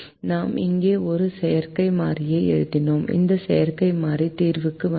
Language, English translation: Tamil, we wrote an artificial variable here and this artificial variable came into the solution